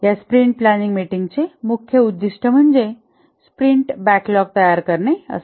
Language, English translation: Marathi, The main objective of this sprint planning meeting is to produce the sprint backlog